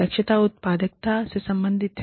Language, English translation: Hindi, Efficiency relates to the productivity